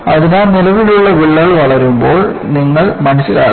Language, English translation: Malayalam, So, you have to appreciate that the existing crack will grow